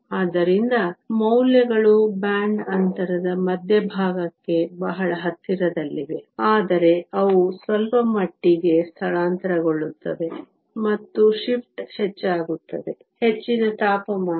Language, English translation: Kannada, So, the values are very close to the center of the band gap, but they are slightly shifted and the shift becomes higher, the higher the temperature